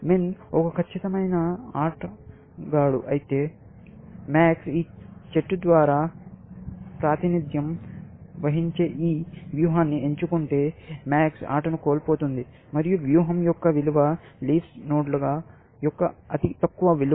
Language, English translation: Telugu, If min is a perfect player, then if max chooses this strategy represented by this tree, then max will end up losing the game, and the value of the strategy is the lowest value of the leaf nodes, essentially